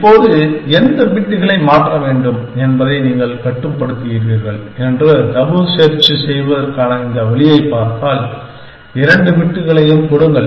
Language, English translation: Tamil, Now, obviously if you look at this way of doing tabu search that you are controlling which bits to change, then given any two bits